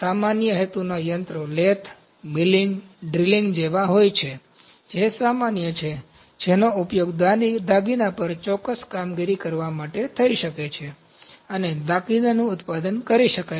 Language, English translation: Gujarati, General purpose machines are like lathe, milling, drilling, which is general that can be used to do specific operation on the job, and the job can be produced